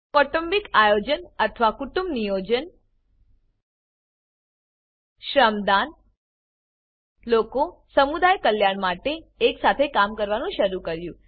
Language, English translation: Gujarati, Family planning or Kutumb Niyojan Shramdaan People started working together for community welfare